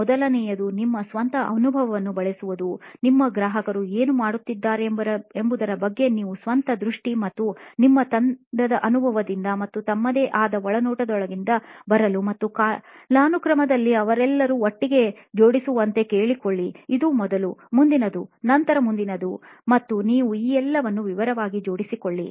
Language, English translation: Kannada, The first, is use your own experience, your own vision of what your customer is going through and ask your team mates, also, to come up with their own insights and stack them all together chronologically in time saying they did this first then they did this first, next and then next and you can put detail all this out